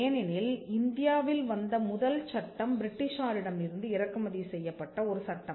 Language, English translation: Tamil, Because the first act that came around in India was an act that was of a British import